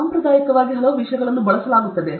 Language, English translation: Kannada, Traditionally, so many things are used